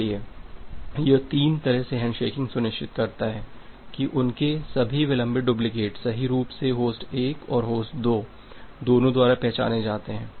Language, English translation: Hindi, So, this three way handshaking ensures that their all the delayed duplicates are correctly identified by both host 1 and host 2